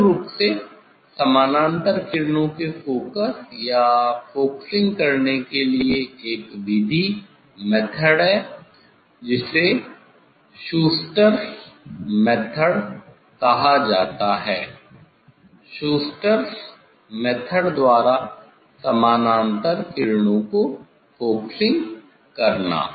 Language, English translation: Hindi, that basically, for getting to focus or focusing for parallel rays there is a method is called Schuster s method, focusing for parallel rays by Schuster s method